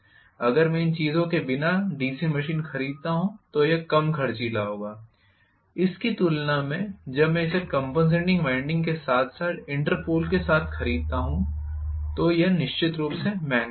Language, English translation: Hindi, If I buy a DC machine without these things it will be less costly as compared to, when I buy it with compensating winding as well as Interpol, so it will be definitely costlier